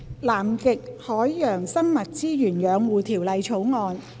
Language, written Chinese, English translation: Cantonese, 《南極海洋生物資源養護條例草案》。, Conservation of Antarctic Marine Living Resources Bill